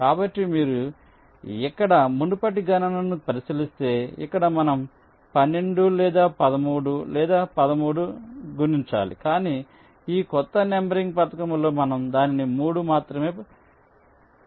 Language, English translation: Telugu, so if you look at the previous calculation here here we are multiplying by twelfth or thirteen, thirteenth, but in this new numbering scheme